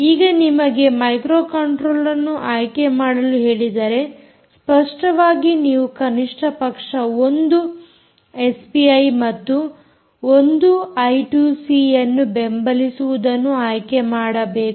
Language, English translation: Kannada, now, if you are asked to choose this microcontroller, you obviously have to choose something that can support at least one s p i and one i two c